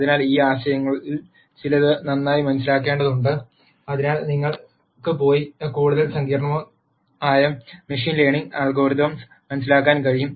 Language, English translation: Malayalam, So, one needs to have a good understanding of some of these concepts be fore you can go and understand more complicated or more complex machine learning algorithms